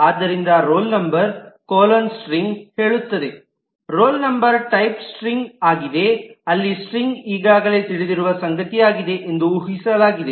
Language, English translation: Kannada, So roll number colon string says that roll number is of type string, while it is assumed that string is something which is known already